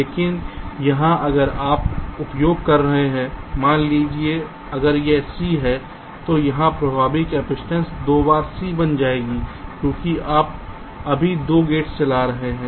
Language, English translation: Hindi, but here, if you are using like here, suppose if this is c, then the effective capacitance here will becomes twice c because you are driving two gates